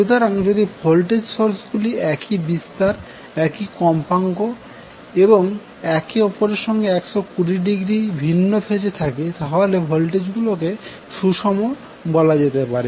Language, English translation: Bengali, So, if the voltage source have the same amplitude and frequency and are out of phase with each other by 20, 20 degree, the voltage are said to be balanced